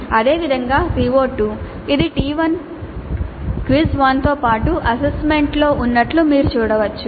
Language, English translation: Telugu, Similarly CO2 you can see it is covered in T1, quiz 1 as well as assignment 1